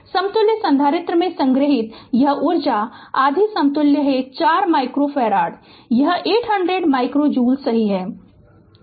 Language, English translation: Hindi, This energy stored in the equivalent capacitor is half equivalent was 4 micro farad half v this square it is 800 micro joule right